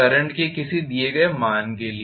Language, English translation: Hindi, For a given value of current